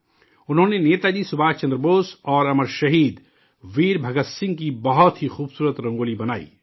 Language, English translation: Urdu, He made very beautiful Rangoli of Netaji Subhash Chandra Bose and Amar Shaheed Veer Bhagat Singh